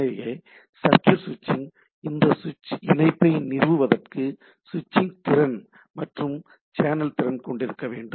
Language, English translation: Tamil, So, circuit switching must have switching capacity and channel capacity to establish connection, right